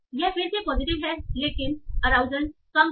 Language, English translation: Hindi, This is having again positive but a rausal is low